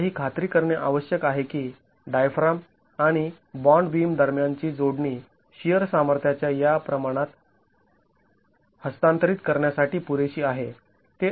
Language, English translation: Marathi, Now we need to ensure that the connection between the diaphragm and the bond beam is adequate for transferring this amount of shear capacity